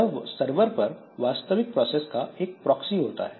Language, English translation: Hindi, So, they are the proxy for the actual procedure on the server